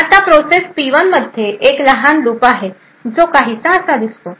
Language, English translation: Marathi, Now, process P1 has a small loop which looks something like this